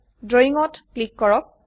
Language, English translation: Assamese, Click on Drawing